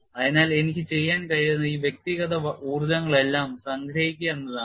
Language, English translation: Malayalam, So, what I could do is I could simply say some all these individual energies